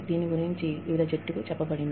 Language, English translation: Telugu, Different teams were told about it